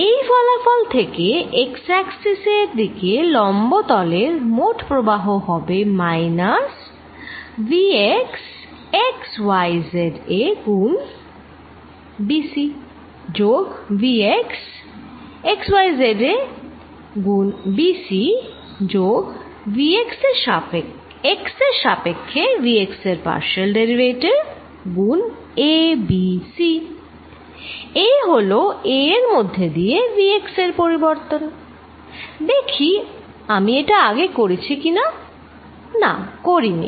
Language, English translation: Bengali, With the result that net flow through surfaces perpendicular to the x axis is going to be minus v x at x, y, z b c plus vx at x, y, z b c plus partial of v x y partial x a b and c, this is the change in v x through a, let me see if I do not that is early no I did not